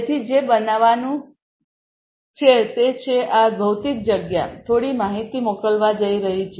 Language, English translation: Gujarati, So, what is going to happen is this physical space is going to send some information